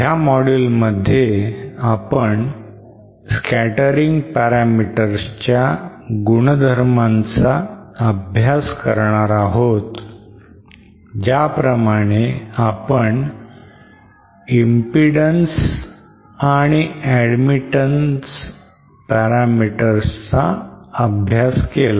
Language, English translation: Marathi, In this module we shall be studying the properties of the scattering parameters just like we studied the properties of the impedance and admittance parameters